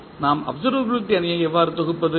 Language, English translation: Tamil, How we compile the observability matrix